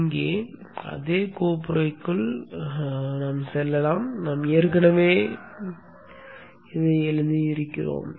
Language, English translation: Tamil, Let me go into the same folder here